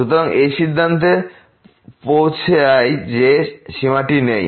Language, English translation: Bengali, So, that concludes that the limit does not exist